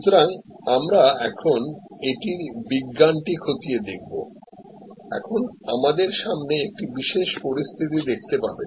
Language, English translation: Bengali, So, we will now look into the science of it a little bit, so you see in front of you now a typical situation